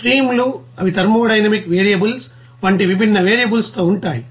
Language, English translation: Telugu, Streams, they are with different you know variables like thermodynamic variables even dynamic variables there